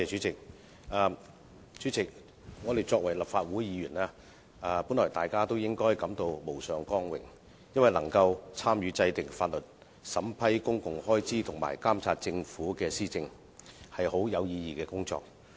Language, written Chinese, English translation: Cantonese, 主席，我們作為立法會議員，本來大家也應該感到無上光榮，因為能夠參與制定法律、審批公共開支和監察政府施政，是很有意義的工作。, President we should be greatly honoured to be Members of the Legislative Council for we can engage in the meaningful work of enacting law approving public expenditure and monitoring the Governments policy implementation